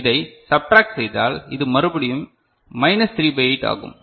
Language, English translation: Tamil, So, if you add them together so, it is minus 1 by 8